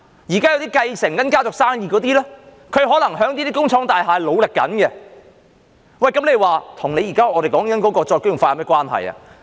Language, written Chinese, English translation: Cantonese, 現時繼承家族生意的人，可能在這些工廠大廈正在努力，這與我們現時所說的再工業化有何關係？, Nowadays those who inherit the family business may be working hard in these factory estates . What does this have to do with the re - industrialization we are talking about?